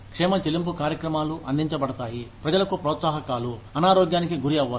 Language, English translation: Telugu, Wellness pay programs are provide, incentives for people, who do not fall sick